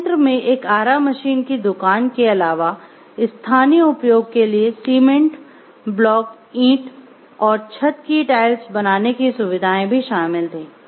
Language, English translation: Hindi, Plants included a future sawmill carpentry shop and facilities to make cement blocks bricks and roof tiles for the local area